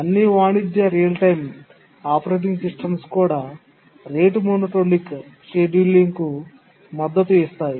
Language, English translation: Telugu, Even all commercial real time operating systems do support rate monotonic scheduling